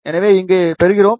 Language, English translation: Tamil, So, we start with 2